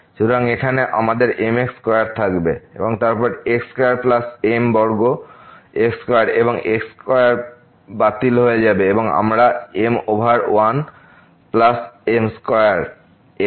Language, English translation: Bengali, So, here we will have square and then square plus square square and square will get cancelled and we will get over plus square